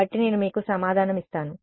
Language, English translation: Telugu, So, I will give you the answer